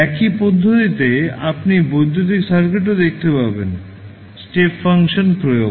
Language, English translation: Bengali, So, in the same manner you will see in the electrical circuit also; the application of step function